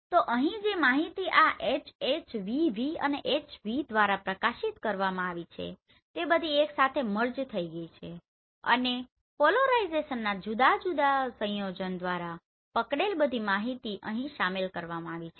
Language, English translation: Gujarati, So here the information which has been highlighted by this HH and VV and HV all are merged together and all the information captured by these three different combination of polarization has been included here